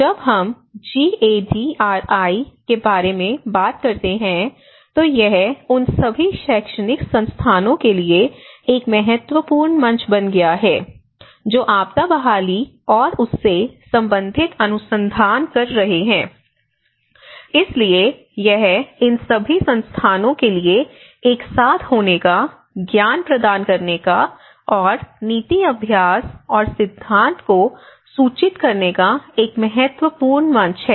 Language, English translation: Hindi, In fact, when we talk about the GADRI, first of all this has become a platform for all the academic institutes who are doing the research and disaster recovery and disaster related research, so it is a platform for all these institutes to come together and share the knowledge and inform the policy practice and also the theory